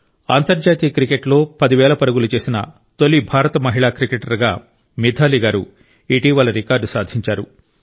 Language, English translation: Telugu, Recently MitaaliRaaj ji has become the first Indian woman cricketer to have made ten thousand runs